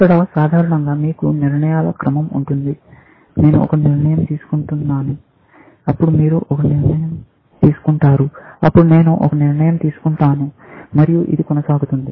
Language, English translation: Telugu, Here, typically, you have a sequence of decisions; I make a decision, then, you make a decision; then, I make a decision, and things like that, essentially